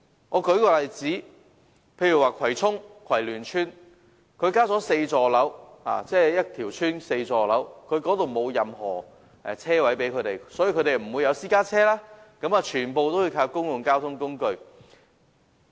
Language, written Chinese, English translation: Cantonese, 我舉個例子，葵涌的葵聯邨包括4座樓宇，卻沒有任何車位提供，所以居民沒有私家車，全部也要依靠公共交通工具。, Let me give an example . Kwai Luen Estate in Kwai Chung is comprised of four blocks but it provides no car parking spaces . For this reason residents of the estate who have no private cars have to rely on public transport